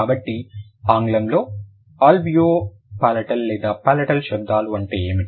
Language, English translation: Telugu, So, what are the alveo palatal or the palatal sounds in English